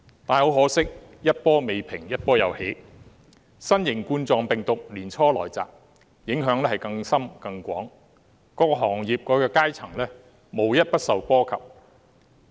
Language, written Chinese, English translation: Cantonese, 但很可惜，一波未平一波又起，新型冠狀病毒年初來襲，影響更深、更廣，各行業和階層無一不受波及。, Yet regrettably hardly had one upheaval subsided when another occurred . At the beginning of the year novel coronavirus broke out making even more profound and extensive impacts . Not a single industry or stratum could be left intact